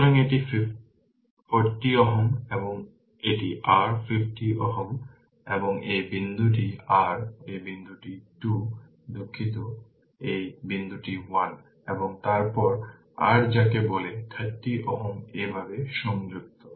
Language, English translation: Bengali, So, this is 40 ohm and this is your 50 ohm right and this point is your this point is 2 sorry this point is 1 and then your what you call this 30 ohm is connected like this